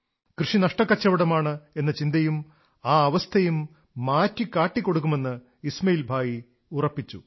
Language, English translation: Malayalam, Ismail Bhai had resolved that he would dispel the notion of farming being a loss making activity and change the situation as well